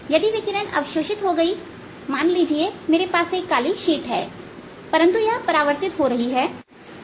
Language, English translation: Hindi, if the radiation got absorbs, suppose i had a black sheet, but it is getting reflected